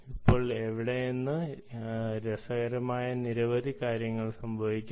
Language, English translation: Malayalam, now from here, many interesting things can happen, right